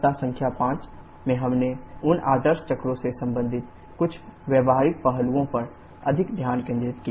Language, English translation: Hindi, In week number 5 we focussed more on some practical aspects related to those ideal cycles